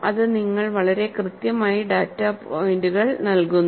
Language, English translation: Malayalam, And that gives you, very clearly, the data points